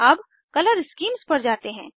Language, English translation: Hindi, Now lets move on to Color schemes